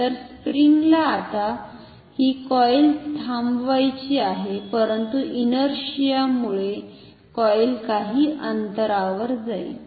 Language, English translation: Marathi, So, springs now wants to stop this coil but, due to inertia the coil will go up to some distance